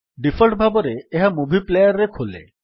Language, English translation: Odia, It opens in movie player by default